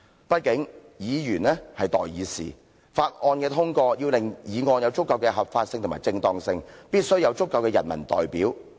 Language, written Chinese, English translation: Cantonese, 畢竟議員是代議士，法案的通過要令議案有足夠的合法性及正當性，必須有足夠的人民代表。, After all Members are peoples representatives . The presence of a sufficient number of peoples representatives is necessary for ensuring adequate legality and propriety of motions seeking the passage of bills